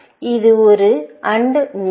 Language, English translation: Tamil, This is an AND node